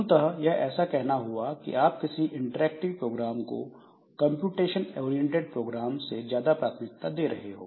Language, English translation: Hindi, So, this is basically giving a priority to a time interactive program than a computation oriented program